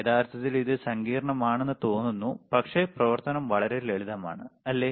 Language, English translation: Malayalam, Actually, it just looks complicated, the operation is really simple, right